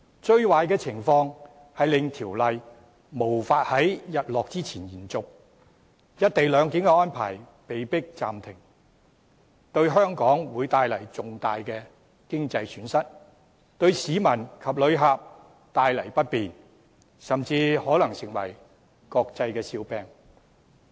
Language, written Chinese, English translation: Cantonese, 最壞的情況是條例無法在"日落"之前延續，令"一地兩檢"安排被迫暫停，為香港帶來重大的經濟損失，亦為市民及旅客帶來不便，甚至可能成為國際笑話。, The worst case scenario is failure to extend the Ordinance before the sunset resulting in forced suspension of the co - location arrangement which will bring a huge economic loss to Hong Kong and inconvenience to members of the public and visitors and may even make us a laughing stock of the world